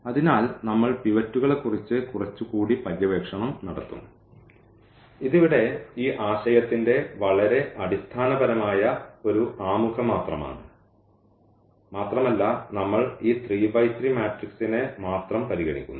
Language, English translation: Malayalam, So, we will be exploring a little more on the pivots and this is just a very very basic introduction to this concept here and we are considering only this 3 by 3 matrix